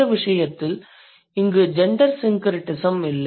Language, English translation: Tamil, So, there you clearly see a gender syncretism